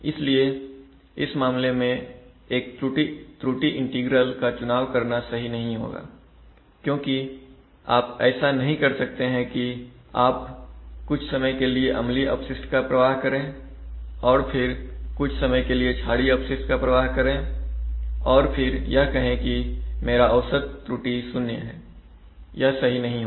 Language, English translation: Hindi, So therefore, in this case choosing an error integral will not be proper, because you cannot release effluent, if you cannot release acidic effluent for some time and then release basic effluent for some time and then say that my average that my integral error is actually zero that would not be proper